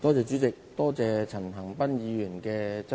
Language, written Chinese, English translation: Cantonese, 主席，多謝陳恒鑌議員提出質詢。, President I thank Mr CHAN Han - pan for his question